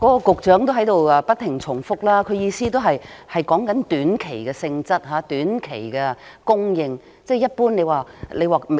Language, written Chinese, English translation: Cantonese, 局長的發言內容也不斷重複，他的意思是指短期性質、短期供應，一般來說......, It is something for temporary purpose a makeshift measure pocketing it first for the time being . The Secretary repeated his words incessantly . He meant a short - term nature a short - term supply